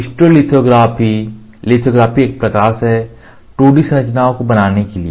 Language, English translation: Hindi, Stereolithography lithography, lithography is light for making 2D structures